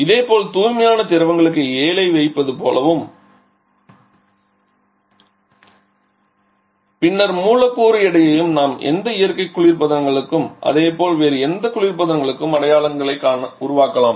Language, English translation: Tamil, Similarly for pure fluids just like this way putting the 7 and then the molecular weight we can also form the symbols for any natural refrigerants and for similarly for any kinds of other refrigerants